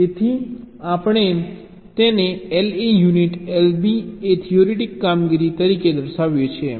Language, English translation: Gujarati, so we denote it as l a union, l b said theoretic operations